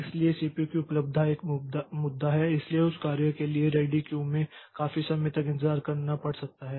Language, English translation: Hindi, So, availability of the CPU is a is an issue so the job may have to wait in the ready queue for quite some time